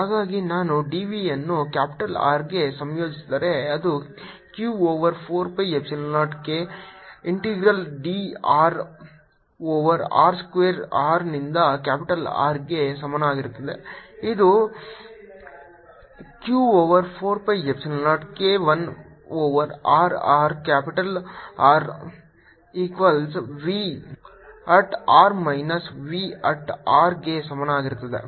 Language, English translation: Kannada, so if i integrate d v from to capital r, its going to be minus q over four pi epsilon zero k integral d r over r square from r to capital r, and this gives me q over four pi epsilon zero k one over r r